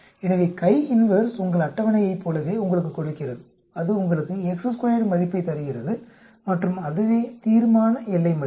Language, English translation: Tamil, So the CHI INVERSE gives you exactly like your table, it gives you the chi square value and that is the critical value